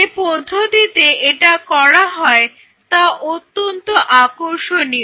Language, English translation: Bengali, So, the way it is being done is very interesting